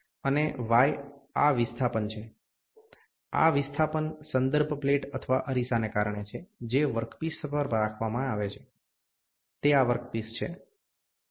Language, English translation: Gujarati, And y is this displacement; this displacement is because the reference plate or the mirror, which is kept on the work piece, this is the work piece